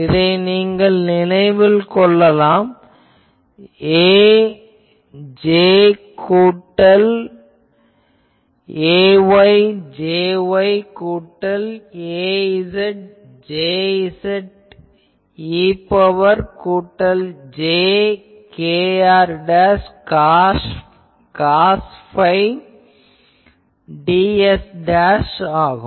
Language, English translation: Tamil, If you can remember, so, ax J x plus ay J y plus az J z e to the power plus jkr dashed cos phi ds dashed